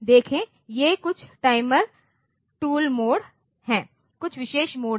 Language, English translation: Hindi, See these are some timer tools modes, some special modes are there